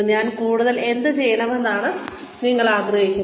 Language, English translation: Malayalam, What more would you like me to do